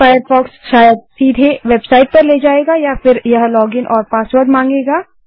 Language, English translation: Hindi, Firefox could connect to the website directly or it could ask for a login and password